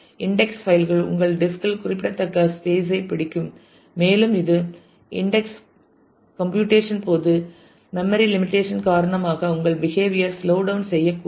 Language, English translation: Tamil, Index files will also occupy significant space on your disk and it may actually cause to slow down your behavior due to memory limitation during index computation